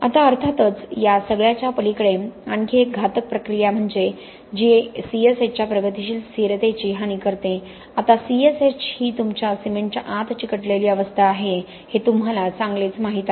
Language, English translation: Marathi, Now of course beyond all this there is a much more deleterious reaction which is a progressive loss of stability of C S H, now C S H you know very well is the adhesive phase inside your cement